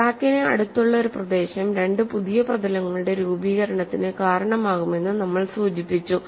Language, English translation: Malayalam, We have only indicated, a region close to the crack contributes to formation of two new surfaces